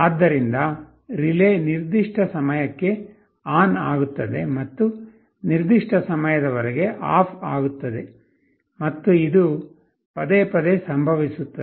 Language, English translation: Kannada, So, the relay will be turned ON for certain time and turned OFF for certain time, and this will happen repeatedly